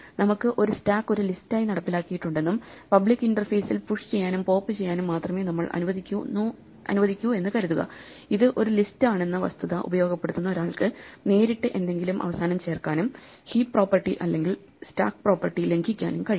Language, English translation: Malayalam, So just to reiterate, supposing we have a stack implemented as a list and we only allow public methods push and pop, a person who is exploiting this fact that it is a list could directly add something to the end and violate the heap property for instance or the stack property